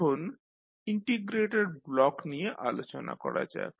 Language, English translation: Bengali, Now, let us talk about the integrator block